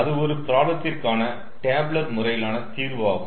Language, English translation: Tamil, it is a tabular method of solution of the problem